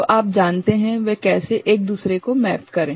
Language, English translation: Hindi, So, how they you know, map each other